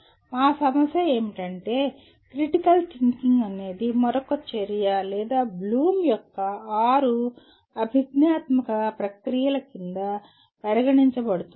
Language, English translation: Telugu, So our issue is, is critical thinking is another activity or is it can be considered subsumed under six cognitive processes of Bloom